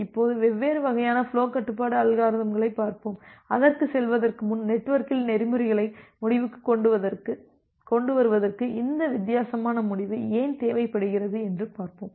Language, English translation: Tamil, Now, let us look into different type of flow control algorithms and before going to that, why do we require this different kind of end to end protocols in the network